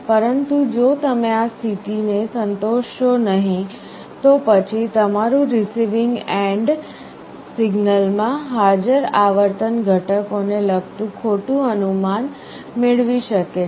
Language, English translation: Gujarati, But if you do not satisfy this condition, then your receiving end might get wrong inference regarding the frequency components present in the signal